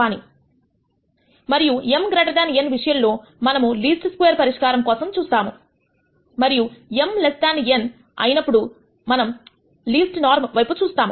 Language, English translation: Telugu, And if m is greater than n we look at a least square solution and if m is less than n then we look at a least norm solution